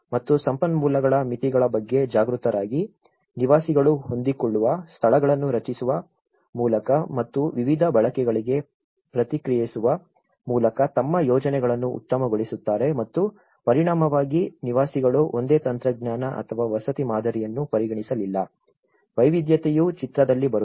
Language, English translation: Kannada, And, conscious about the limitations of the resources, residents optimize their projects by creating flexible spaces and responding to various uses and as a result, residents have not considered one single technology or a housing model, there is a diversity come into the picture